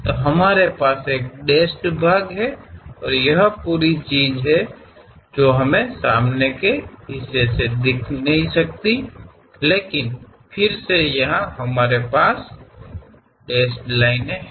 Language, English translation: Hindi, So, we have the dashed one and this entire thing we can not really see it from front; but again here we have dashed line